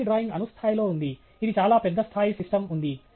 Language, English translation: Telugu, The previous drawing was at an atomic level, this is at a, you know, much larger scale system level